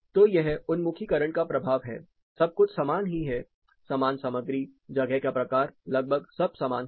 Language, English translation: Hindi, So, this is a effect of orientation same material everything is same just the space type everything is more or less the same